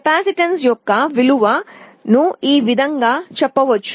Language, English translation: Telugu, The value of the capacitance is given by this expression